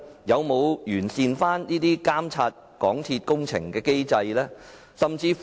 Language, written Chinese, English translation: Cantonese, 有否完善監察港鐵公司工程的機制呢？, Has it enhanced the mechanism to monitor the works of MTRCL?